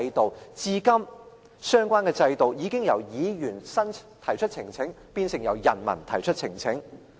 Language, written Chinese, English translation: Cantonese, 但至今相關制度已經由議員提出呈請，變成由人民提出呈請。, The fact is the United Kingdom system has undergone a fundamental change from a petition by council members to a petition by the public